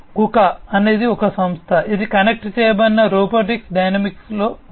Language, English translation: Telugu, KUKA is a company, which is into the connected robotics domain